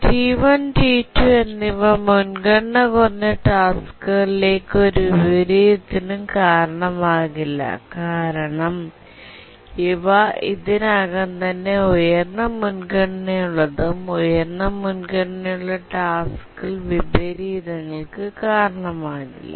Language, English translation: Malayalam, T1 and T2 will not cause any inversion to the lower priority tasks because there are already higher priority and high priority task doesn't cause inversions